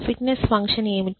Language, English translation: Telugu, What is the fitness function